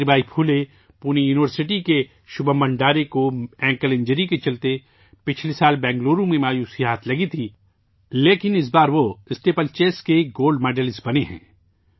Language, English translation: Urdu, Shubham Bhandare of Savitribai Phule Pune University, who had suffered a disappointment in Bangalore last year due to an ankle injury, has become a Gold Medalist in Steeplechase this time